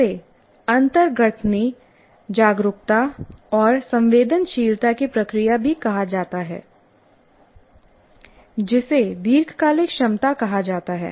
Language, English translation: Hindi, This is also called the process of synaptic awareness and sensitivity which is called long term potentiation